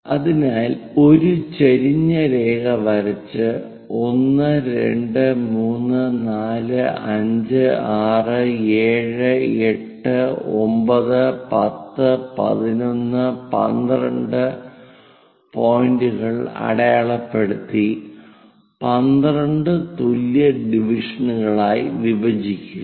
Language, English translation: Malayalam, So, these are the points, mark them as 1 2 3 4 2 3 4 5 6 7 8 9 10 11, I think we made this is 12 let us use equal number of divisions